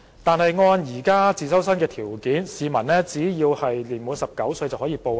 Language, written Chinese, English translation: Cantonese, 但按現時自修生的報考條件，市民只要年滿19歲即可報考。, But according to the existing entry qualifications people aged 19 or above can enter for the examination